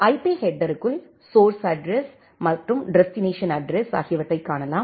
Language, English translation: Tamil, Inside the IP header you can see that the source address and the destination address